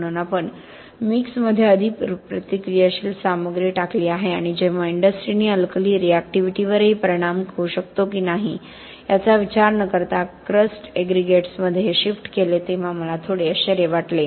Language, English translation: Marathi, So we have put more reactive material into the mix and I was a little bit surprised when the industry made this shift to crust aggregates without even thinking about whether this might influence alkali reactivity